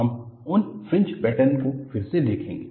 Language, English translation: Hindi, We will see those fringe patterns again